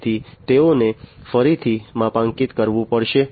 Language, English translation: Gujarati, So, they will have to be recalibrated